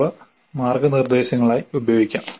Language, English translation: Malayalam, They can be used as guidelines